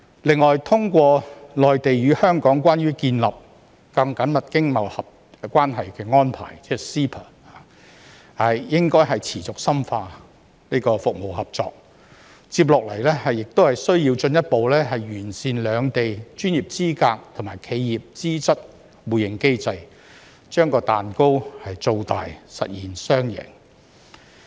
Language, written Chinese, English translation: Cantonese, 此外，通過《內地與香港關於建立更緊密經貿關係的安排》，應該持續深化服務合作。接下來須進一步完善兩地專業資格及企業資質互認機制，將蛋糕造大，實現雙贏。, Furthermore the authorities should continue to deepen cooperation in trade in services under the MainlandHong Kong Closer Economic Partnership Arrangement while further improving the mechanisms for mutual recognition of professional and corporate qualifications in both places as the next step so as to bake a larger cake and achieve a win - win situation